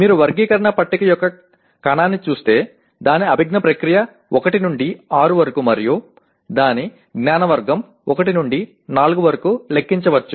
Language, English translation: Telugu, If you look at a cell of the taxonomy table can be numbered by its cognitive process 1 to 6 and its knowledge category 1 to 4